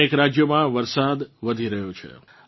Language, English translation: Gujarati, Rain is increasing in many states